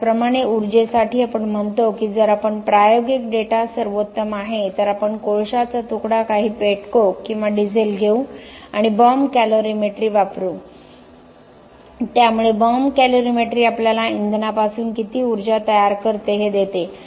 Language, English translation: Marathi, Similarly, for energy, we say that if we can experimental data is best so we would take a piece of coal some pet coke or diesel and do Bomb Calorimetry so Bomb Calorimetry gives us how much energy is produced from a fuel